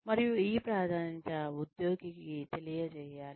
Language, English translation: Telugu, And, this priority, should be made known, to the employee